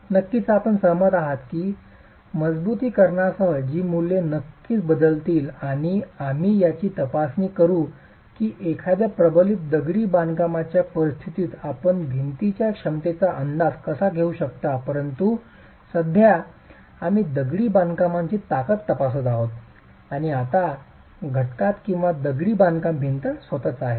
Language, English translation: Marathi, Of course you will agree that with reinforcement these values will of course change and we will examine how in a reinforced masonry situation you can estimate capacities of the wall but currently we are examining the strength of masonry and now in the component or the element which is the masonry wall itself